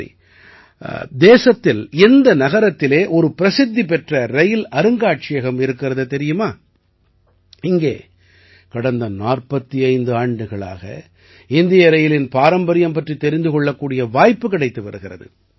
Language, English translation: Tamil, Do you know in which city of the country there is a famous Rail Museum where people have been getting a chance to see the heritage of Indian Railways for the last 45 years